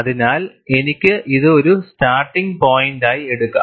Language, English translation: Malayalam, So, I could take this as a point, to start with